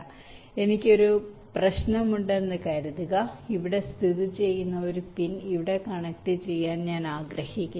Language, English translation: Malayalam, let say like this: and suppose i have a problem where i want to connect a pin which is located here to a pin which is located, say, here